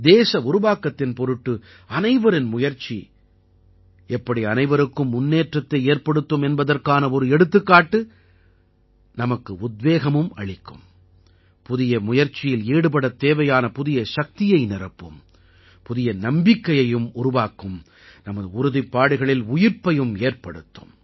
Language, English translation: Tamil, The examples of how efforts by everyone for nation building in turn lead to progress for all of us, also inspire us and infuse us with a new energy to do something, impart new confidence, give a meaning to our resolve